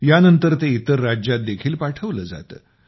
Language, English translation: Marathi, After this it is also sent to other states